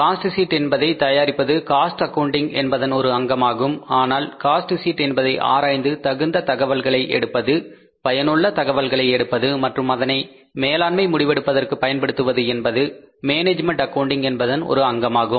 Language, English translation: Tamil, Preparation of the cost sheet is the part of cost accounting but analyzing the cost sheet and drawing the relevant information useful information and using it in the decision making is the part of the management accounting